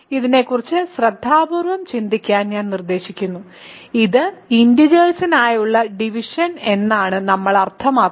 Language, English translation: Malayalam, So, I suggest that you think about this carefully this is exactly what we mean by division for integers